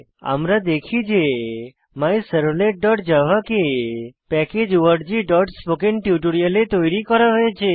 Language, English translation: Bengali, We see MyServlet.java is created in the package org.spokentutorial